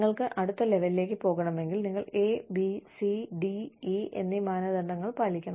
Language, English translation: Malayalam, If you want to move on to the next level, you must fulfil criteria A, B, C, D and E